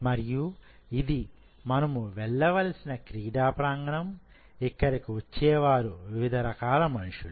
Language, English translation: Telugu, And this is the arena where we are supposed to go, and here people are coming of different types